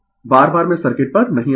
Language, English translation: Hindi, Again and again I will not come to the circuit